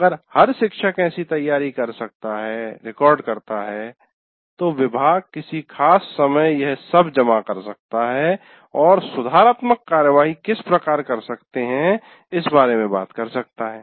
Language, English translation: Hindi, If every teacher can prepare that, then the department at some point of time can pool all this and talk about how to take corrective action for that